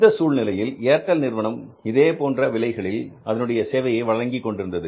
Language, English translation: Tamil, So, that was the situation because Airtel was also pricing their services like that